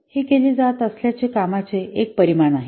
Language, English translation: Marathi, It is a measure of work that is being done